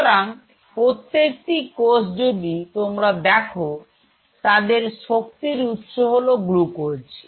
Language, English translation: Bengali, So, every cell, if you look at it mostly they are readily source energy source is glucose